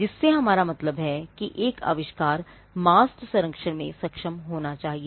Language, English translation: Hindi, By which we mean that an invention should be capable of masked protection